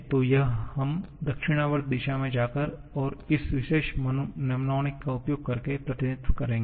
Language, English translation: Hindi, So, this we will represent by going in the clockwise direction and making use of this particular mnemonic